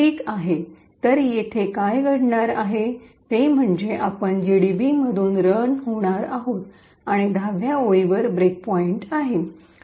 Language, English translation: Marathi, Ok, so what’s going to happen here is that since we are running through GDB and have a break point at line number 10